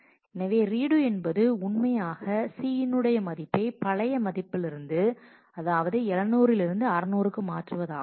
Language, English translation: Tamil, Of course, it is a simple operation which changes the value of c from 700 to 600